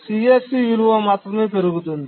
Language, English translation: Telugu, So, the CSE value only increases